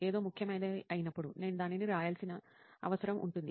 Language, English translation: Telugu, But when something is important, I do make it a point of noting it down